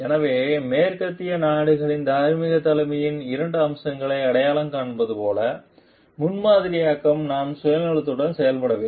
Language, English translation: Tamil, So, like west would identify two facets of moral leadership role modeling I am not acting selfishly